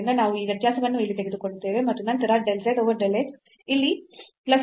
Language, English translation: Kannada, So, we will take this difference here and then so, del z over del x here this will become plus